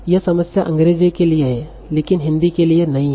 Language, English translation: Hindi, This problem is there for English but not so for Hindi